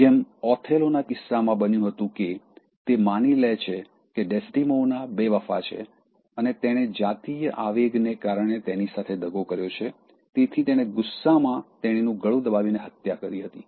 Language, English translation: Gujarati, Like in case of Othello, that Desdemona is disloyal, unfaithful and she has cheated at that point of sexual jealousy, in that fit of anger, he strangulates and kills her